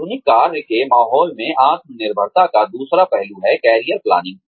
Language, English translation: Hindi, The second aspect of self reliance, in the modern day work environment is, career planning